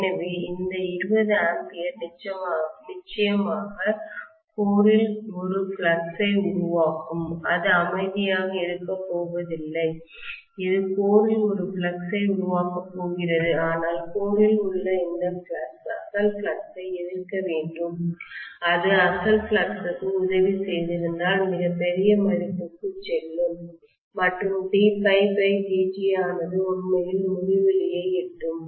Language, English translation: Tamil, So this 20 ampere will create definitely a flux in the core, it is not going to keep quiet, it is going to create a flux in the core but this flux in the core should oppose the original flux, if it had been aiding the original flux that will go to extremely large values and d phi by dt will also reach literally infinity